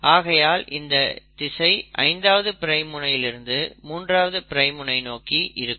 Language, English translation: Tamil, Now here the 5 prime to 3 prime direction is going this way